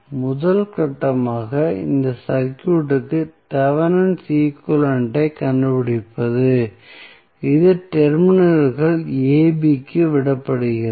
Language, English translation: Tamil, the first step would be to find the Thevenin equivalent of this circuit which is left to the terminals AB